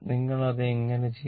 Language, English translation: Malayalam, How you will do it, ah